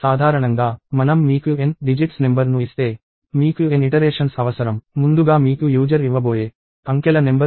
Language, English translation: Telugu, In general, if I give you an n digit number, you need n iterations; upfront you do not know the number of digits that the user is going to give